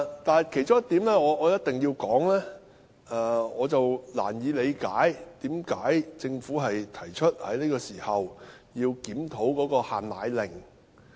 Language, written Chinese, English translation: Cantonese, 但其中一點我必須說的是，我難以理解為甚麼政府在這個時候提出要檢討"限奶令"。, However one of the points I must make is that I can hardly understand why the Government proposed a review of the export control of powdered formulae at this juncture